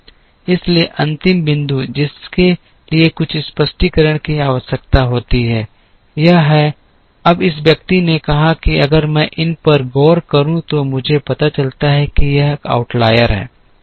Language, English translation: Hindi, So, the last point that requires requires certain explanation is this, now this person said if I look at these I find that this is an outlier